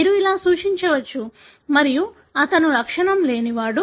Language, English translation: Telugu, You can denote like this and he is asymptomatic